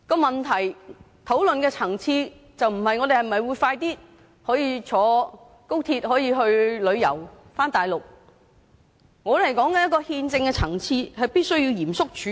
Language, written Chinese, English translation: Cantonese, 問題討論的層次不是我們是否可以早日乘坐高鐵到內地旅遊，而是憲政的層次必須嚴肅處理。, The point lies not in whether or not we can take the XRL at an early date when travelling to the Mainland rather the constitutional dimension has to be dealt with seriously